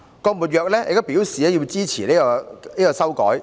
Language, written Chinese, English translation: Cantonese, "郭沫若亦表態支持改歌詞。, GUO Moruo also indicated his support for revising the lyrics